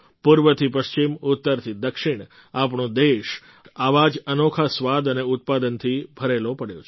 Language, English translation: Gujarati, From East to West, North to South our country is full of such unique flavors and products